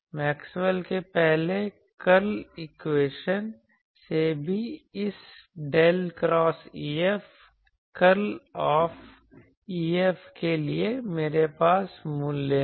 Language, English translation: Hindi, Also from Maxwell’s first curl equation; I have the value for this del cross E F, curl of E F